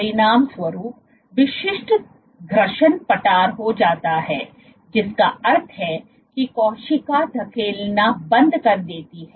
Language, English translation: Hindi, As a consequence, the typical friction plateaus which means the cell stops pushing